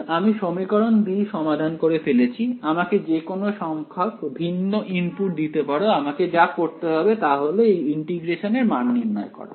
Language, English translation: Bengali, Once I solve equation 2 give me any number of different inputs all I have to do is evaluate this integral right